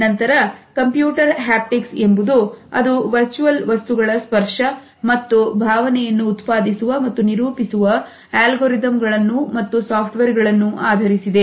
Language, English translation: Kannada, Then we have computer haptics which is based on algorithms and software’s associated with generating and rendering the touch and feel of virtual objects